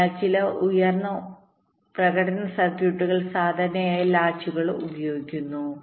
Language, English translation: Malayalam, so some high performance circuits typically use latches